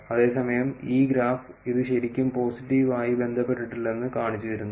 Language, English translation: Malayalam, Whereas, this graph is showing you that it is not really positively correlated